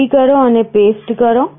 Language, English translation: Gujarati, Copy and paste